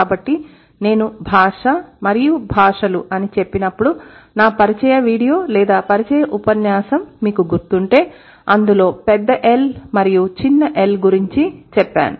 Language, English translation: Telugu, So, when I say language and languages, if you remember my introduction video or the introduction lecture that we had, it was about Big L and Small L